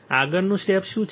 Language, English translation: Gujarati, what is the next step